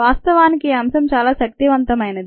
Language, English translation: Telugu, infact, this concept is very powerful ah